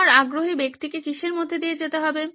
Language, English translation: Bengali, What would your interested person go through